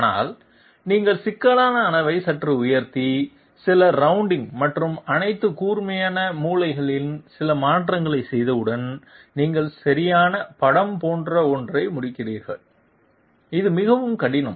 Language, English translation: Tamil, But once you slightly raise the level of complexity and go for you know some round rounding and some you know rushing of all the sharp corners, you end up with something like this, it is much more difficult